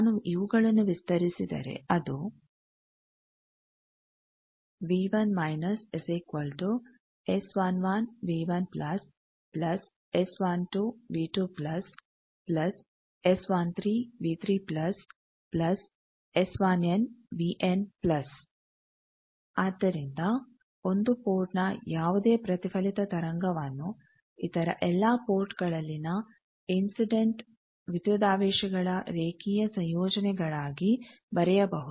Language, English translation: Kannada, So, any reflected wave at 1 port can be written as linear combinations of incident voltages at all other ports